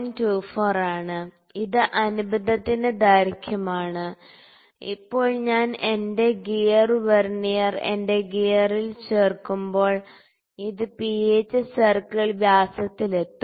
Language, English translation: Malayalam, 24, which is the length of addendum and when now when I insert my gear Vernier to my gear, it will reach the pitch circle diameter, ok